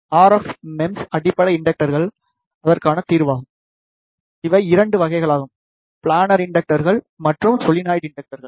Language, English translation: Tamil, The RF MEMS base inductors is the solution to that, these are of 2 types planar inductors and the solenoid inductors